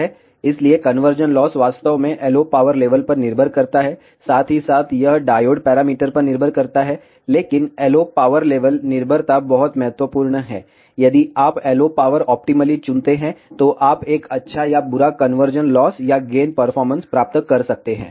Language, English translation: Hindi, So, the conversion loss actually depends on the LO power level, as well as it depends on the diode parameters, but the LO power level dependency is very critical, you can have a good or a bad conversion loss or gain performance, if you choose the LO power optimally